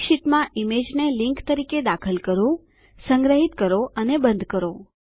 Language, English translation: Gujarati, Insert an image as a link in a Calc sheet, save and close it